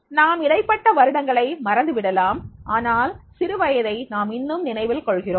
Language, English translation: Tamil, We may have forgotten in between the years but the childhood we still remember